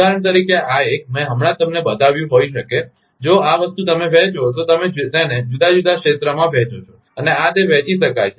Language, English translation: Gujarati, For example, this one I just showed you, may be if this thing you divide, you just divide it different region and this is, it can be divided